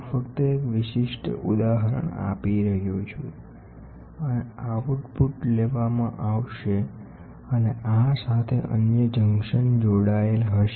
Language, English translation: Gujarati, I am just giving a typical example and the output will be taken and this will be connected to other junction